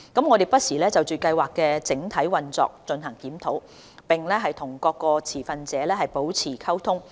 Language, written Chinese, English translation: Cantonese, 我們不時就計劃的整體運作進行檢討，並與各相關持份者保持溝通。, We review the overall operation of the Scheme from time to time and maintain dialogue with relevant stakeholders